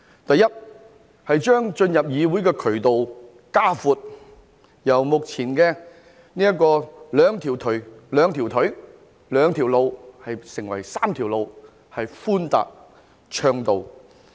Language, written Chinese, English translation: Cantonese, 第一，擴闊進入議會的渠道，由目前的兩條腿、兩條路變成3條路，而且是寬達暢道。, First channels to enter the legislature will be expanded from the current two - pronged approach to a three - pronged one and these channels are wide and smooth